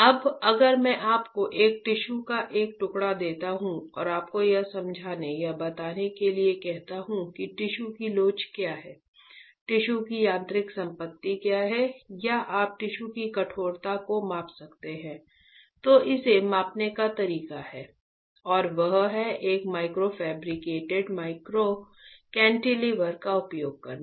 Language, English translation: Hindi, Now, if I give you a slice of a tissue and ask you to understand or tell me what is the elasticity of the tissue, what is the mechanical property of the tissue or you can you measure the stiffness of the tissue, then there is a way to measure it and that is by using a micro fabricated micro cantilever